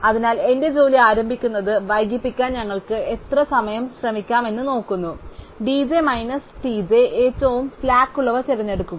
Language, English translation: Malayalam, So, we look at the slack how much time we can effort to delay start in my job, d j minus t j and pick those which have the smallest slack